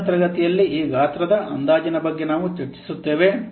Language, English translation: Kannada, So that also we'll discuss in the next class like this size estimation